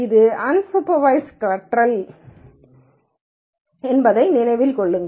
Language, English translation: Tamil, And also remember that this is a unsupervised learning